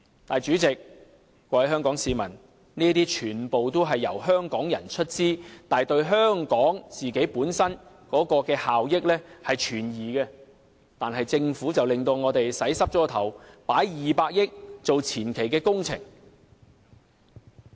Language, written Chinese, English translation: Cantonese, 但是，主席、各位香港市民，這些全部都是由香港人出資，但對香港本身的效益存疑，可是政府卻讓我們回不了頭，投放200億元作為前期工程。, However President and fellow Hong Kong citizens while all these projects are to be financed by Hong Kong people their benefits to Hong Kong are doubtful; yet the Government disallows us to back off by earmarking 20 billion to implement the advance works